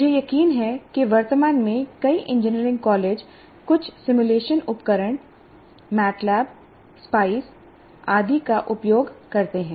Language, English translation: Hindi, I'm sure that already presently many of the engineering colleges do use some simulation tools already, like MATLAB or SPICE and so on